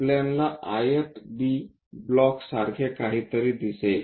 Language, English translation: Marathi, We will see something like a rectangle B block